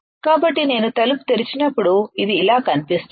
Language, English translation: Telugu, So, when I open the door it looks like this